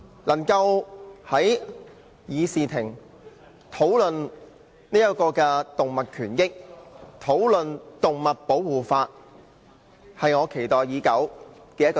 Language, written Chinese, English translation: Cantonese, 能夠在議事廳內討論動物權益和動物保護法例，是我期待以久的事。, I have long awaited the opportunity to discuss animal rights as well as animal protection legislation in the chamber